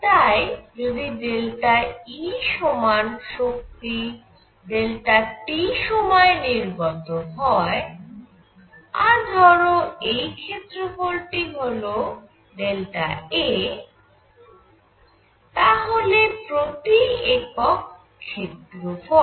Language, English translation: Bengali, So, suppose delta E energy comes out in time delta t and suppose this area is small area is delta A then per unit area